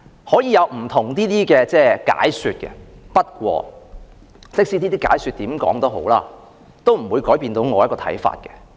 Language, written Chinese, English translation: Cantonese, 可以有不同的解說，但無論如何亦不會改變我的看法。, There can be different explanations but I will not change my mind anyway